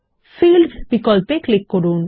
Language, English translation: Bengali, Then click on the Fields option